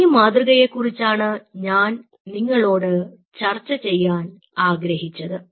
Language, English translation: Malayalam, so this is one paradigm which i wanted to discuss